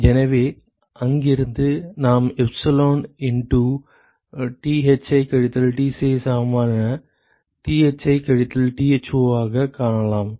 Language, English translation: Tamil, So, that will be minus epsilon Thi minus Tci plus Thi minus Tci minus